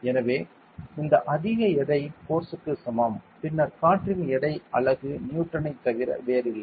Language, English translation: Tamil, So, this much weight is equivalent to force and then Newton of the unit of weight is nothing but Newton